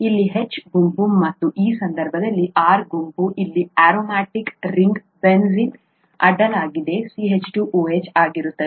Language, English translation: Kannada, The H group here and the R group in this case happens to be the CH2 OH across a , across an aromatic ring here